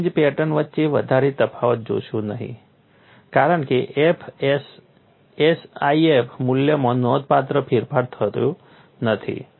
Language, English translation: Gujarati, You would not see much difference between the fringe patterns because the SIF value is not significantly altered